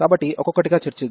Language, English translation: Telugu, So, let us discuss one by one